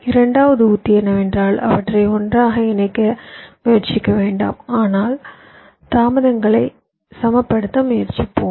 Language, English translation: Tamil, the second strategy is that, well, let us not not try to bring them close together, but let us try to balance the delays